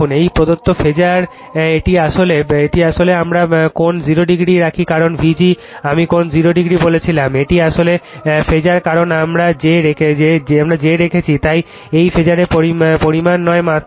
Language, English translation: Bengali, This is the given phasor this is actually then we put angle 0 degree, because V g I told you angle 0 degree, this is a phasor because we have put j, so it is it is phasor quantity not magnitude